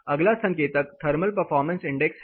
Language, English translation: Hindi, The next indicator is thermal performance index